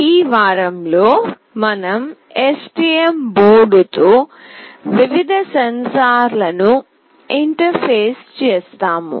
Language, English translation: Telugu, In this week we will be interfacing various sensors with STM board